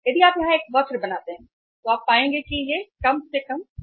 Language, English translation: Hindi, If you draw a curve here you will find something this is the least total cost